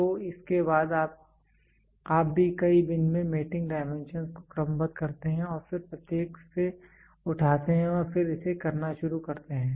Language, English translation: Hindi, So, then correspondingly you also sort out the mating dimensions in several bins, and then pick from each one and then start doing it